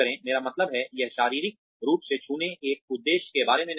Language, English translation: Hindi, I mean, it is not about physically touching, an objective